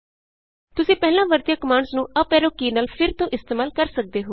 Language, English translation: Punjabi, you can recall the previously entered commands by using up arrowkey